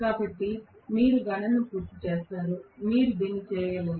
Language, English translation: Telugu, So, you guys will complete the calculation, you should be able to do it